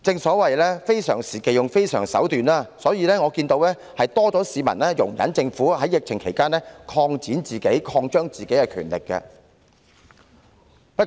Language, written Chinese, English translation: Cantonese, 所謂非常時期要用非常手段，所以可見到市民對政府在疫情期間擴展、擴張其權力，確實多了一些容忍。, Since extraordinary measures have to be taken at extraordinary times we can see that people are indeed more tolerant of the Governments attempts to extend and expand its power during the epidemic